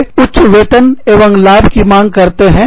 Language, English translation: Hindi, They demand, higher salaries and benefits